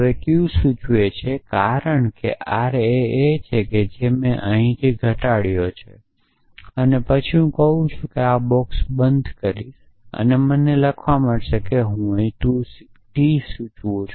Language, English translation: Gujarati, Now, q implies r because r is what I reduced from here then I am saying I will close this box and I will get let me write I t here p implies q implies r